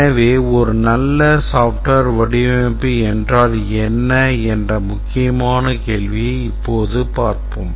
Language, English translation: Tamil, So, let's now address this important question that what is a good software design